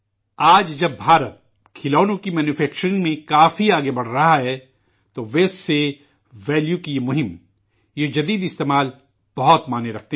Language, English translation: Urdu, Today, while India is moving much forward in the manufacturing of toys, these campaigns from Waste to Value, these ingenious experiments mean a lot